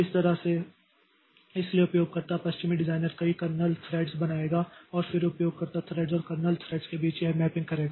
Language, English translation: Hindi, So, that way the user, the OS designer will create a number of kernel threads and then do this mapping between the user threads and kernel threads